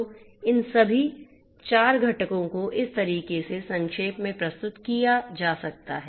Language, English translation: Hindi, So, two things you know all these 4 components can be summarized in this manner